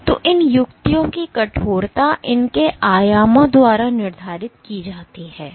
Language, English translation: Hindi, So, the stiffness of these tips is dictated by its dimensions